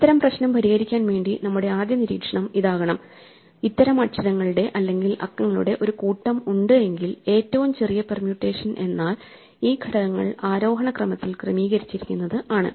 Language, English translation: Malayalam, In order to solve this problem the first observation we can make is that, if we have a sequence of such letters or digits the smallest permutation is the order in which the elements are arranged in ascending order